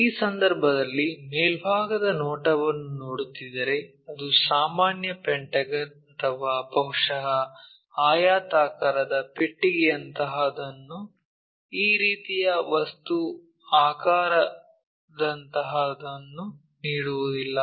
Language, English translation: Kannada, If that is the case, if we are looking at top view it will not give us straight forward pentagon or perhaps something like a rectangular box something like this kind of object shape we will see